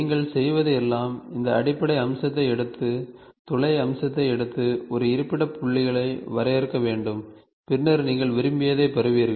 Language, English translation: Tamil, All you do is you take the base feature, take the hole feature and define a locating points, then you get whatever you want